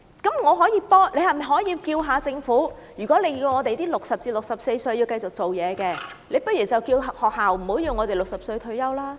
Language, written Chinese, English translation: Cantonese, 你可否幫我問問政府，既然叫60歲至64歲人士繼續工作，那麼學校可否不要要求我們60歲退休？, Can you ask the Government whether schools can stop telling us to retire at 60 since the Government asks people aged 60 to 64 to continue working?